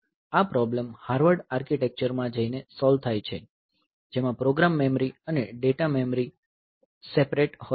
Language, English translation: Gujarati, So, this problem is solved by going to the Harvard architecture in which the program memory and the data memory they are separate